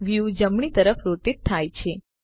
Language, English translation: Gujarati, The view rotates to the right